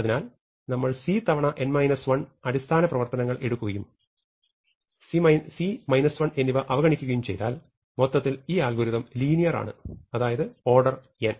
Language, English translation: Malayalam, So, we have some c times n minus 1 basic operations and if we ignore the c and we ignore this minus 1, overall this algorithm is linear, it takes order n time